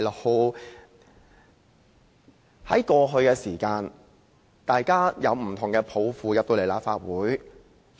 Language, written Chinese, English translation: Cantonese, 過去，大家抱着不同的抱負進入立法會。, In the past we joined the Legislative Council with different aspirations